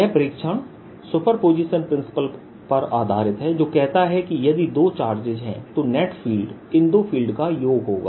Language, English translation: Hindi, this observation is based on superposition principle, which says that if there are two charges, net field is the addition of the two fields